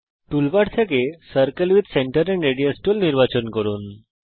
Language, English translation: Bengali, Select Circle with Center and Radius tool from toolbar